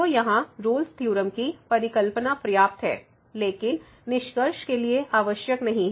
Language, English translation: Hindi, So, here the hypothesis of the Rolle’s Theorem are sufficient, but not necessary for the conclusion